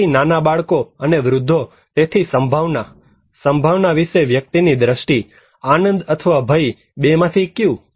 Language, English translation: Gujarati, So, young kids and old seniors, so the probability; the person’s perceptions of the probability; fun or danger, which one